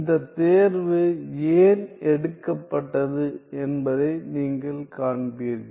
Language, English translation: Tamil, You will see why this choice is taken